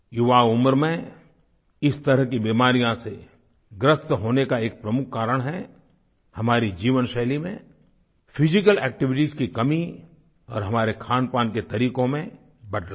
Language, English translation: Hindi, ' One of the main reasons for being afflicted with such diseases at a young age is the lack of physical activity in our lifestyle and the changes in our eating habits